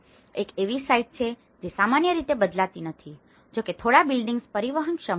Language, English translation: Gujarati, One is a site, which generally does not change, although a few buildings are transportable